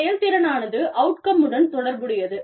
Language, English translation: Tamil, Efficiency relates to the productivity